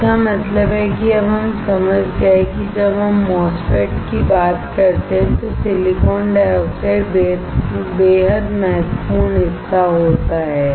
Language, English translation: Hindi, That means, now we understood that the silicon dioxide is extremely important part when we talk about a MOSFET